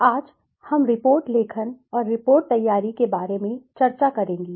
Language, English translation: Hindi, Today, we will discuss about the report writing and report preparation